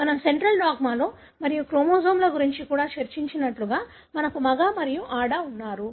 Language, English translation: Telugu, As we discussed in the central dogma and also about the chromosomes, we have male and female